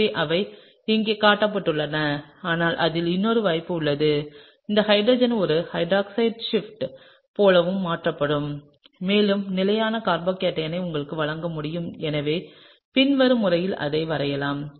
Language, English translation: Tamil, So, those are shown here, but there is another possibility in that, this hydrogen can also shift like a hydride shift to give you potentially a more stable carbocation and so, that can be drawn in the following manner